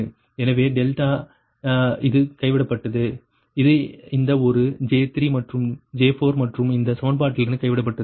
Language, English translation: Tamil, so delta, this is dropped, this is dropped, this one, j three and j four dropped from this equation